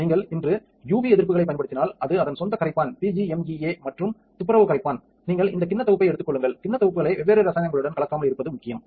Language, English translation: Tamil, If you like today use UV resists which is the solvent PGMEA and cleaning solvent as its own then you take this bowl set it is important not to mix up bowl sets with different chemicals